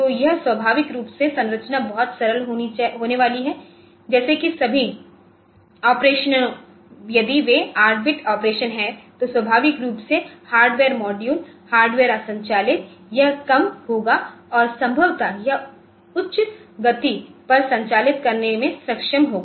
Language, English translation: Hindi, So, naturally the structure is going to be much simpler like all the operations if they are 8 bit operation then naturally the hardware module hardware operate it will be less and possibly it will be able to operate at a higher speed